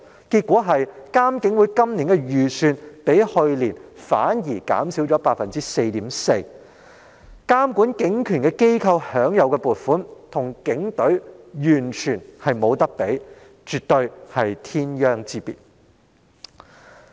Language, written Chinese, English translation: Cantonese, 結果，監警會今年的預算開支反而較去年減少了 4.4%， 這個監管警權的機構所享有的撥款可說與警隊完全無法相比，絕對是天壤之別。, It turns out that there is a decrease of 4.4 % in the estimated expenditure for IPCC this year as compared with that in the previous year . The financial allocation provided to this organization tasked to oversee the exercise of police power is definitely incomparable with that provided to the Police Force and difference is poles apart